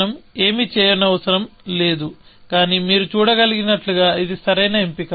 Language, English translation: Telugu, So, we do not have to do anything, but as you can see that was a right choice, essentially